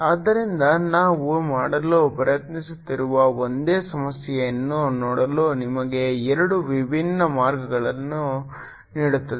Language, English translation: Kannada, so what we try to do is give you two different ways of looking at the same problem